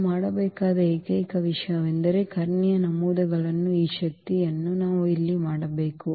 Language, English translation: Kannada, Only thing we have to we have to just do this power here of the diagonal entries